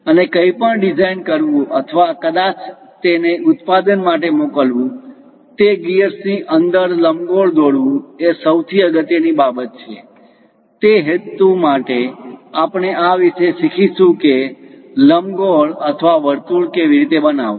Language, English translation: Gujarati, And to design anything or perhaps to send it for production line, constructing ellipse inside of that constructing gears is most important thing; for that purpose, we are learning about this how to construct an ellipse or circle